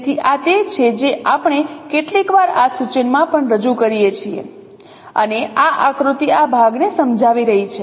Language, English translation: Gujarati, So, this is what we sometimes represent in this notation also and this is this diagram is explaining this part